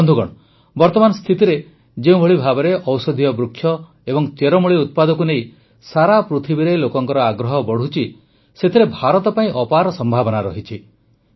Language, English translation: Odia, Friends, in the current context, with the trend of people around the world regarding medicinal plants and herbal products increasing, India has immense potential